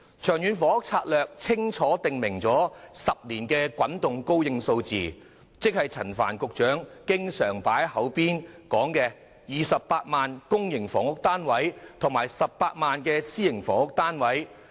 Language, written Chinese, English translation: Cantonese, 《長遠房屋策略》清楚訂明為期10年的滾動供應數字，即陳帆局長掛在口邊的28萬個公營房屋單位及18萬個私營房屋單位。, The Long Term Housing Strategy LTHS clearly provides for the supply of housing based on a 10 - year rolling programme that is the supply of 280 000 PRH units and 180 000 private housing units frequently mentioned by Secretary Frank CHAN